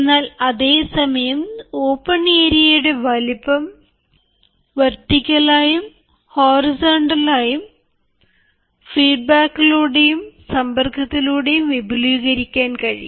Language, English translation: Malayalam, but at the same time, the size of the open area can be expanded both horizontally and then vertically, also through feedback and through solicitation, through interaction